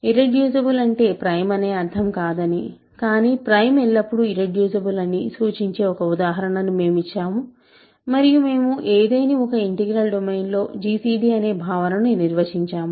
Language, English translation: Telugu, We have given an example to show that irreducible does not mean prime, but prime always implies irreducible and we have defined the notion of gcd in an arbitrary integral domain